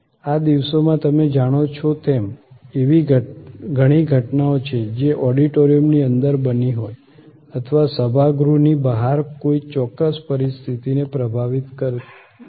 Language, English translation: Gujarati, These days as you know, there are many instances of things that have happened inside an auditorium or influence outside the auditorium a certain situation